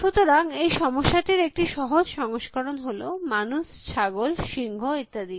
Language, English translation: Bengali, So, as a simply version of that is the man, goat, lion problem